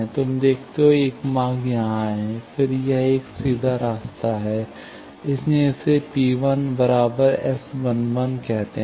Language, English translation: Hindi, You see, one path is here; then, this one is one direct path, that is why, let us call this as P 1 is S 1 1